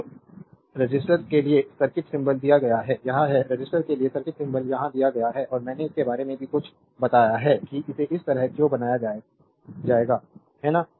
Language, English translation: Hindi, So, the circuit symbol for the resistor is given this is this is the circuit symbol for the resistor is given here and I told you something about these also why you will make it like this, right